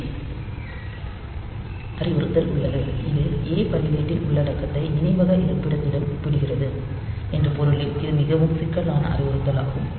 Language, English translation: Tamil, Then there is a CJNE instruction this is a very complex instruction in the sense that it compares the content of A register with the memory location